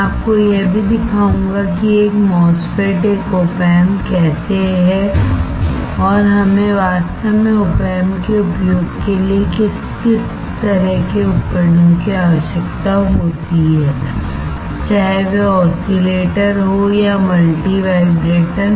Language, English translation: Hindi, I will also show you how a MOSFET, an op amp looks like, and what kind of equipment do we require to actually demonstrate the use of the op amp; whether it is an oscillator or a multi vibrator